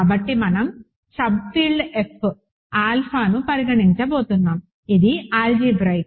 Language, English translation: Telugu, So, we are going to consider the sub field F alpha, let this be algebraic